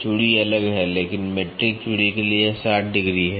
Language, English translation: Hindi, Thread it is different, but for metric thread it is 60 degrees